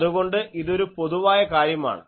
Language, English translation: Malayalam, So, this is a general thing